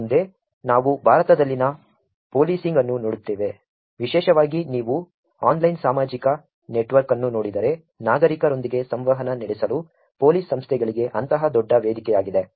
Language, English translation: Kannada, Next, we look at policing which is in India, particularly if you see online social network has become such a big platform for police organizations to use in terms of interacting with citizens